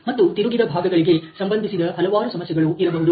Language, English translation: Kannada, And there may be many issues related to the turned parts